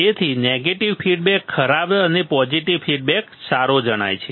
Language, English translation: Gujarati, So, negative feedback seems to be bad and positive feedback good right